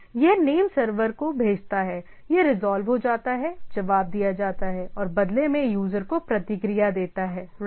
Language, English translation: Hindi, It in turns send to the name server, it get resolved, response and in turn give the user response right